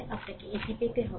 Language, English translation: Bengali, You have to get it